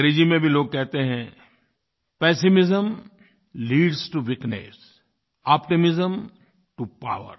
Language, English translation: Hindi, In English too, it is said, 'Pessimism leads to weakness, optimism to power'